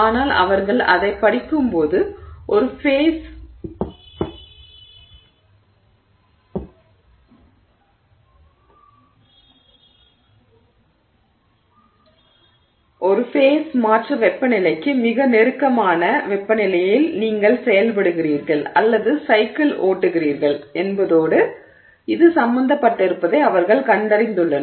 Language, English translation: Tamil, But when they study it, they find that it has got to do with the fact that you are operating or cycling at temperatures very close to a phase change temperature